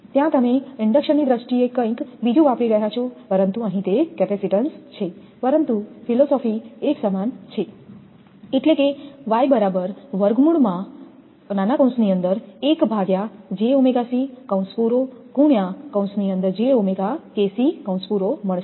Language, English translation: Gujarati, There you are using something else in terms of inductance, but here it is capacitance, but philosophy is same